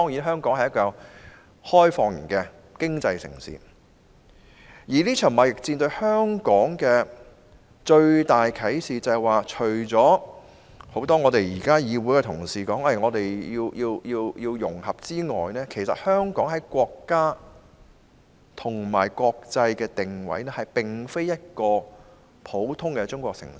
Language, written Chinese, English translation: Cantonese, 香港作為開放型經濟城市，面對這場貿易戰所得到的最大啟示是，除多位議會剛才說我們要融合外，香港其實在國家與國際的定位並非一個普通的中國城市。, As Hong Kong is an externally - oriented economy the biggest insight brought by the trade war is that apart from the need for us to integrate with China as suggested by a number of Members just now Hong Kong should not position itself as an ordinary Chinese city domestically and internationally